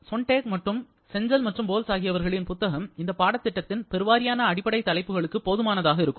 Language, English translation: Tamil, Sonntag and the book of Cengel and Boles that will be suitable for most of the basic topics that we are going to talk in this course